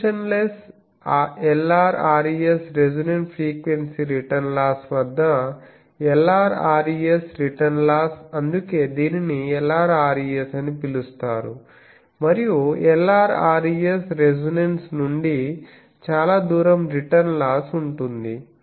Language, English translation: Telugu, Dimensionless Lr res return loss at the resonant frequency return loss at the resonant frequency that is why it is called Lr res and Lr far return loss far from the resonance